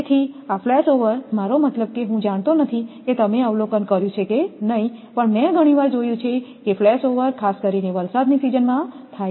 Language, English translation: Gujarati, So, this flashover I mean I do not know whether you have observed or not, many times I have observed that flashover is happening particular in rainy reason